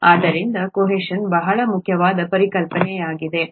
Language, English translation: Kannada, So adhesion is a very important concept